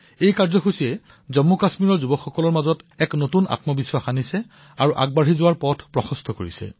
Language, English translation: Assamese, This program has given a new found confidence to the youth in Jammu and Kashmir, and shown them a way to forge ahead